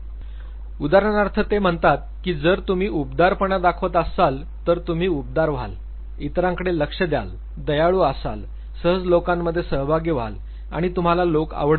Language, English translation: Marathi, For instance he says that if you are high on warmth, then you would be warm outgoing, attentive to others, kind, easy going participating and you would like people